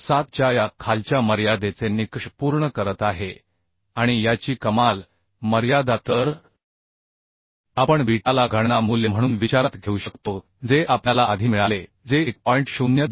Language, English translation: Marathi, 7 and upper limit of this so we can consider beta as a calculate value what we obtained earlier that is 1